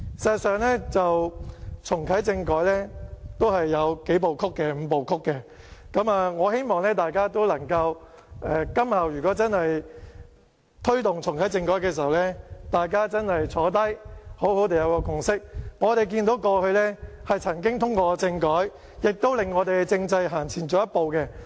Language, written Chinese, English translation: Cantonese, 事實上，重啟政改是有"五步曲"，我希望今後如果推動重啟政改的時候，大家可以得出一個共識，我們看到過去曾經通過政改，亦令我們的政制走前一步。, In fact there is a Five - step Process for reactivating constitutional reform . I hope that we can reach a consensus before asking to reactivate constitutional reform in future . As we could see constitutional reform has carried our constitutional system a step forward in the past